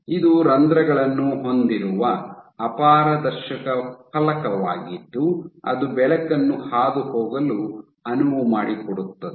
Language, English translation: Kannada, So, this is an opaque plate with holes that allow light to pass